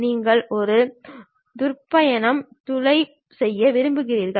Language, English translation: Tamil, You just want to make a drill, hole